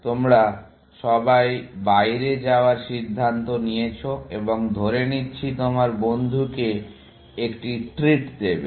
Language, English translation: Bengali, You have all decided to go out and let us say, give a treat to your friend